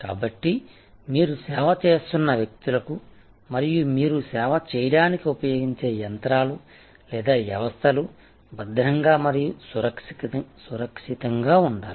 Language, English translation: Telugu, So, for both the people you serve and the machines or systems that you use to serve must be safe and secure